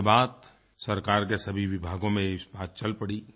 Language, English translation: Hindi, After that all government departments started discussing it